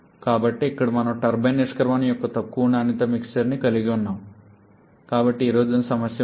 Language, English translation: Telugu, So, again here we are having a low quality mixer of the turbine exit so erosion problem will be there